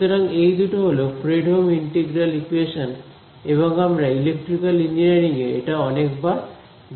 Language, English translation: Bengali, So, these two are Fredholm integral equations and we electrical engineering comes up across these many many times